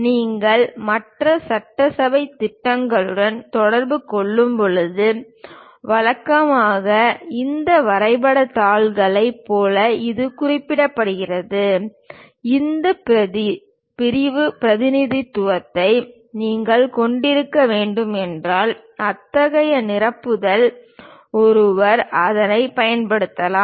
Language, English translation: Tamil, When you are communicating with other assembly plans, usually you circulate these drawing sheets on which it is clearly represented like; if you have having this sectional representation, perhaps such kind of refill one might be using it